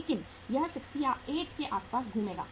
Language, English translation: Hindi, But it will revolve around this 68